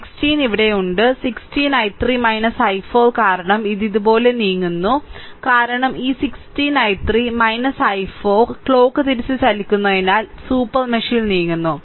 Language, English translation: Malayalam, So, 16 is here 16 i 3 minus i 4 because it is we have moving like this, this 16 i 3 minus I 4 because we are moving clock wise we are moving in the super mesh right we are moving like this like this right